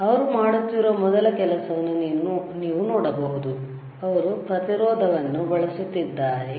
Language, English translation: Kannada, So, you can see the first thing that he is doing is he is using the resistance, right